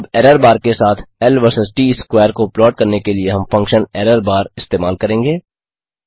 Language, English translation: Hindi, Now to plot L vs T square with an error bar we use the function errorbar()